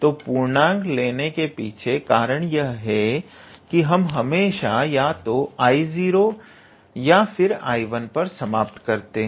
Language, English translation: Hindi, So, the reason we are taking a positive integer is that here we are always ending up with either I 0 or I 1